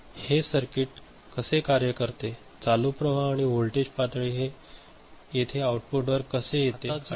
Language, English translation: Marathi, How this circuit is working, how the current flow and the voltage level coming over here at the output these are the outputs ok